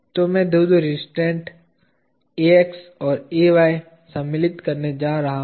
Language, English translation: Hindi, So, I am going to insert the two restraints Ax and Ay